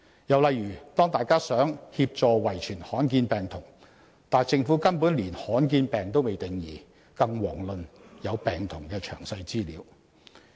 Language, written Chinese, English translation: Cantonese, 又例如，大家想協助遺傳罕見病童，但政府根本連罕見病也未定義，遑論有病童的詳細資料。, Another example is that we all want to help children suffering from rare genetic diseases but the Government is yet to give a definition of rare diseases let alone detailed information on sick children